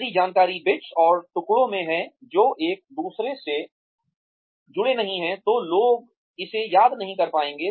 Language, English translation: Hindi, If the information is in bits and pieces, that are not connected to each other, then people will not be able to remember it